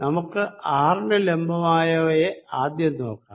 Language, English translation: Malayalam, let's look at perpendicular to r first